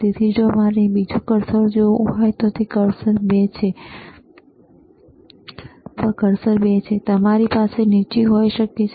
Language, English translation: Gujarati, So, if I want to have another cursor, see cursor 2, you can have the bottom,